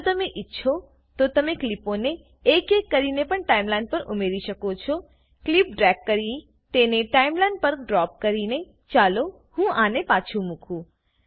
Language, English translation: Gujarati, If you want, you can also add the clips to the Timeline one by one, by dragging the clip and dropping it on the Timeline